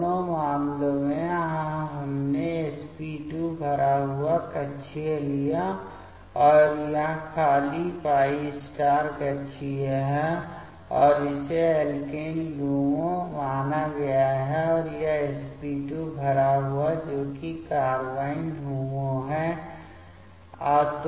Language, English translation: Hindi, So, both the cases so here we have taken the sp2 filled orbital, and this is the empty π* orbital, and this has been considered as alkene LUMO and this sp2 filled that is the carbene HOMO